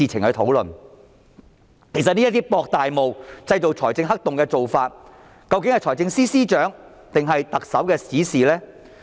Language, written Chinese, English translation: Cantonese, 這種渾水摸魚、製造財政黑洞的做法，究竟是財政司司長還是特首的指示呢？, Is the practice of fishing in troubled waters and creating fiscal black holes the instruction of the Financial Secretary or the Chief Executive?